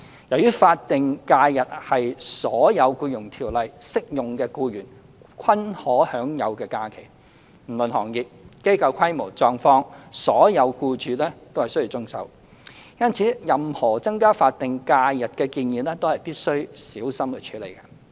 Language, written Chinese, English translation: Cantonese, 由於法定假日是所有《僱傭條例》適用的僱員均可享有的假期，不論行業、機構規模及狀況，所有僱主均須遵守，因此，任何增加法定假日的建議都必須小心處理。, As all employees to whom the Employment Ordinance is applicable are entitled to statutory leave all employers must comply irrespective of trades and industries scales of enterprises and individual circumstances hence any proposal to increase statutory holidays must be carefully handled